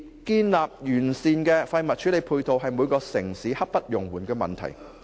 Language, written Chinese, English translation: Cantonese, 建立完善的廢物處理配套，是每個城市刻不容緩的問題。, Establishing an all - round waste disposal system is a pressing issue for every city